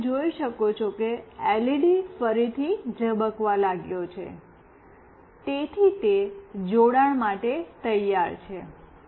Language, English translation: Gujarati, And you can see that the LED has started to blink again, so it is ready for connection